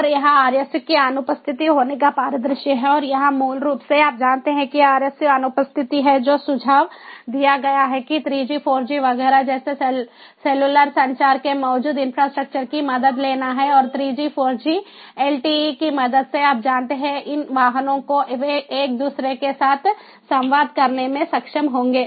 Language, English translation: Hindi, and here, basically you know, if the rsu is absent, what is suggested is to take help of the existing infrastructure of cellular communication, like three, four g, etcetera, and with the help of three of four g, lte, you know these vehicles, they would be able to communicate with each other